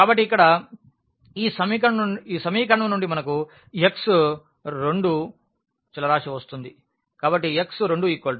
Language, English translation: Telugu, So, here from this equation we will get x 2 variable